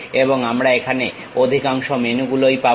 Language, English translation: Bengali, And most of the menu we will be having here